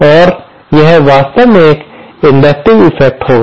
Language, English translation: Hindi, And that will actually be an inductive effect